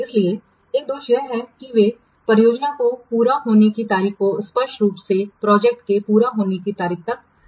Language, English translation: Hindi, So, one drawback is that they do not show clearly the slippage of the project completion date through the life of the project